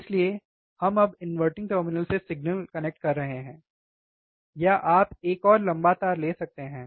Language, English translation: Hindi, So, we are now connecting the signal to the inverting terminal, or you can take another wire longer wire